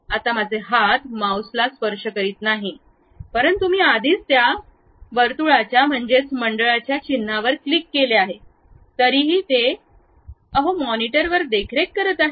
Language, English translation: Marathi, Right now my hands are not touching mouse, but I have already clicked that circle icon, so still it is maintaining on that monitor